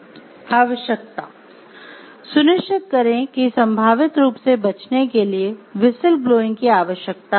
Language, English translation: Hindi, Need: make sure whistle blowing is required to avoid the prospective form